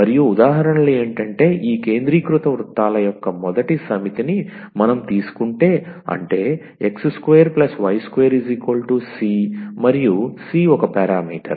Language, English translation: Telugu, And the examples here the first set of this concentric circles if we take; that means, x square plus y square is equal to c and c is a parameter